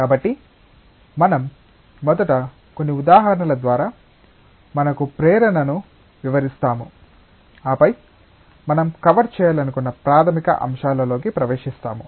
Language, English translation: Telugu, So, we will first go through a few examples that will illustrate us the motivation, and then we will get into the fundamental topics that we intend to cover